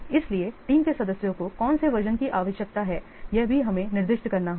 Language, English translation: Hindi, So which version exactly the team member needs that also have to specify